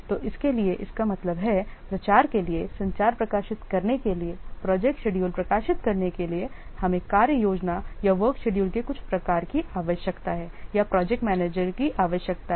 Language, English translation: Hindi, So, for this, that means for publicizing, for publishing the communicate, for publishing the project schedules, we need or the project manager needs some form of work plan or work schedule